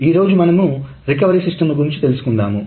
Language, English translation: Telugu, So, today's topic is on recovery systems